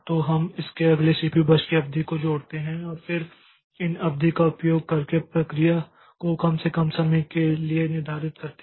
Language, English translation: Hindi, So, we attach the length of its next CPU burst and then we use this length to schedule the process with the shortest time